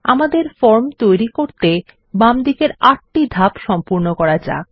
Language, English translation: Bengali, Let us go through the 8 steps on the left to create our form